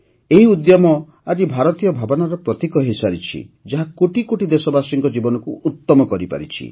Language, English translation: Odia, Today this initiative has become a symbol of the national spirit, which has improved the lives of crores of countrymen